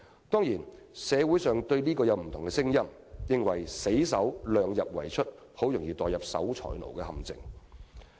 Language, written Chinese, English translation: Cantonese, "當然，社會上對此有不同聲音，有人認為死守"量入為出"，很容易墮入守財奴的陷阱。, Surely there are different views in society with some people saying that strict adherence to the principle of keeping the expenditure within the limits of revenues is only the virtue of a scrooge